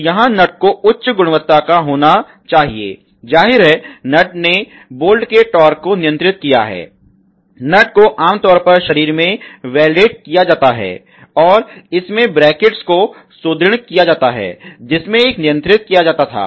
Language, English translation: Hindi, So, here the nut needs to be of high quality; obviously, the nut is going to holed the torque, torque of the bolt a nut is typically welded in the body, and there is reinforce brackets which used to holded